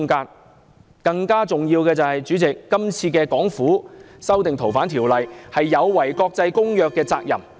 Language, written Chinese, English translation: Cantonese, 主席，更重要的是，港府今次修訂《條例》，是有違國際公約下的責任。, President what is more important is that the SAR Governments current amendment to the Ordinance has violated its obligations under the international convention